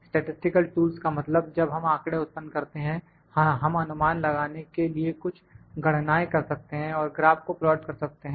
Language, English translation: Hindi, Statistical tools means, we can when we generate the data, we can do some calculations to get some inference and we can plot the graphs